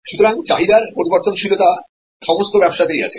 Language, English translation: Bengali, So, variability of demand is there in all business